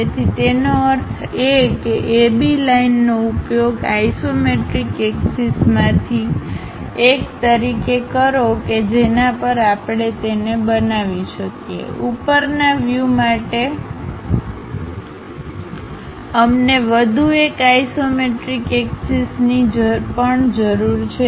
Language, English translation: Gujarati, So, that means, use AB line as one of the isometric axis on that we can really construct it; for top view we require one more isometric axis also